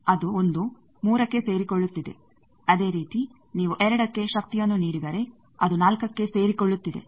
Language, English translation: Kannada, That one is getting coupled to 3, similarly if you give power at 2 it is getting coupled at 4